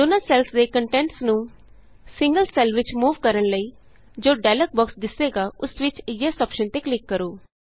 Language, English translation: Punjabi, In order to move the contents of both the cells in a single cell, click on the Yes option in the dialog box which appears